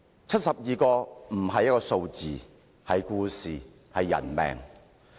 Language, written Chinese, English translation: Cantonese, 七十二人並非一個數字，而是故事，更是人命。, These 72 cases are not just a figure . Each of them tells a story and they are all about human lives